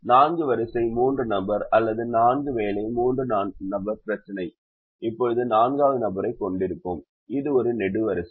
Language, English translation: Tamil, a four row, three person or four job, three person problem will now have a fourth person, which is a column